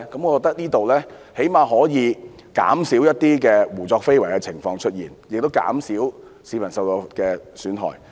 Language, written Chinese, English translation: Cantonese, 我覺得這樣最少可以減少一些胡作非為的情況，亦減少市民受到的損害。, I think in this way at least arbitrary acts can be reduced and harms to members of the public pre - empted